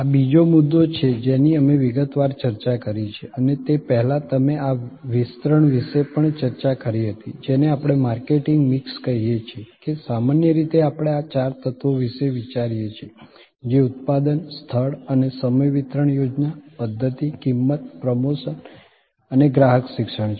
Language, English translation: Gujarati, This is the other point that we discussed in detail and before that, you also discussed about this extension of what we call the marketing mix, that in normally we think of this four elements, which is the product, the place and time which is the distributions scheme and system and the price and the promotion and customer education